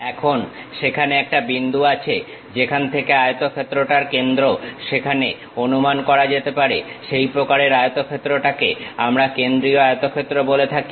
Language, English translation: Bengali, Now, there is one point from where the center of the rectangle supposed to be there, that kind of rectangle what we are calling center rectangle